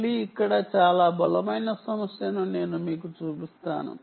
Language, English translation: Telugu, again, let me point you to a very strong issue here